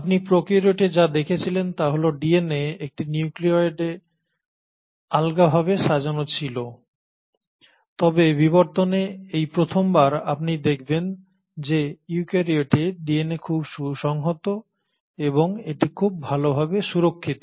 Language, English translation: Bengali, So what you had seen in prokaryotes was DNA was loosely arranged in a nucleoid body but what you find in eukaryotes for the first time in evolution that the DNA is very well organised and it is very well protected